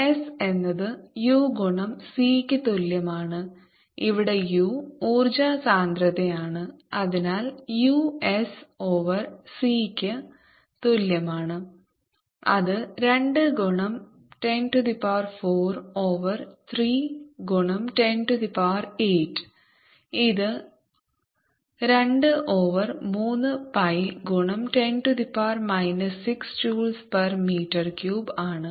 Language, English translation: Malayalam, s is equal to u time c, where u is the energy density and therefore u is equal to s over c, which is equal to two times ten raise to four over pi times three times ten